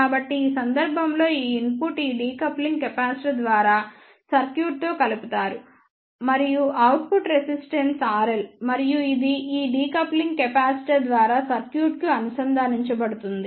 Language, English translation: Telugu, So, in this case these input is coupled to the circuit through this decoupling capacitor and the output resistance is R L and this is connected to the circuit through this decoupling capacitor